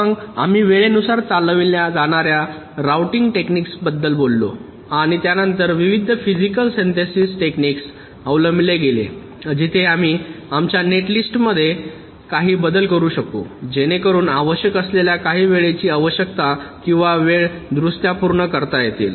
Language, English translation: Marathi, then we talked about the timing driven routing techniques and this was followed by various physical synthesis techniques where we can make some modifications to our netlists so as to meet some of the timing requirements or timing corrections that are required